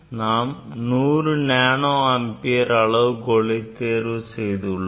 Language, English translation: Tamil, Of course, it is we have taken 100 nanoampere